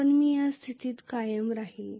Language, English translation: Marathi, And i is not a constant